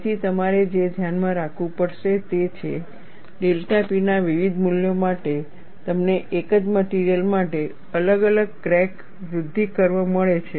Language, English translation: Gujarati, So, what you will have to keep in mind is, for different values of delta P, you get different crack growth curve for one single material